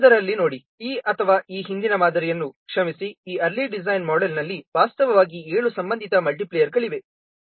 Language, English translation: Kannada, See in the earlier one was that E or this earlier model, sorry, in this early design model, actually there are seven associated multipliers